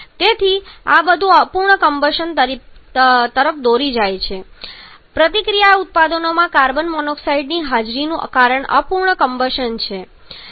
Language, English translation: Gujarati, And incomplete combustion is the reason for the presence of carbon monoxide in the products or in the reaction products